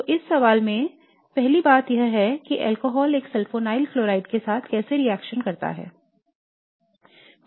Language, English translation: Hindi, So the first thing in this question is how does an alcohol react with a sulfonyl chloride